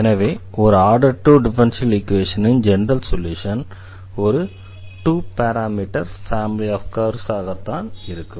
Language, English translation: Tamil, Or in other words the solution of this differential equation is nothing, but this given family of two parameter family of curves